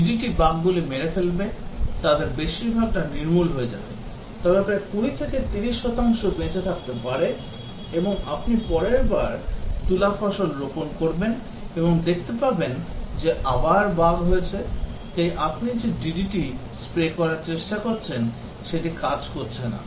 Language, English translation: Bengali, The DDT would kill the bugs, most of them will get eliminated, but may be some 20 30 percent may survive, and then you plant the cotton crop next time and then you find that again bugs are there, so you try spraying DDT it does not work